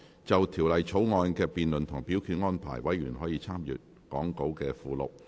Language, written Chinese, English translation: Cantonese, 就條例草案的辯論及表決安排，委員可參閱講稿附錄。, Members may refer to the Appendix to the Script for the debate and voting arrangements for the Bill